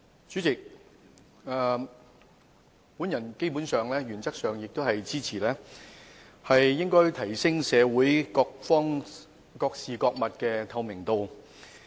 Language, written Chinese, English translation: Cantonese, 主席，基本上，我原則上支持需提升社會各方、各事及各物的透明度。, President basically I support in principle the need to enhance transparency of all parties all issues and all things in the society